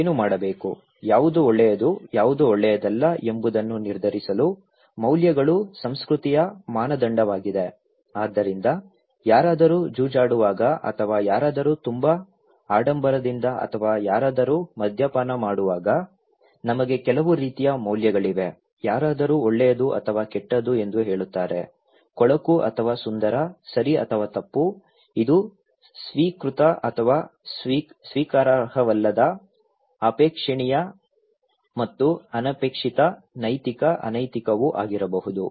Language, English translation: Kannada, Values are culture standard for what to do, what is good, what is not good to decide okay, so when somebody is gambling or somebody is very flamboyant or somebody is taking alcohol, we have some kind of values, somebody saying is good or bad, ugly or beautiful, right or wrong, it could be also kind of accepted or unaccepted, desirable and undesirable, ethical unethical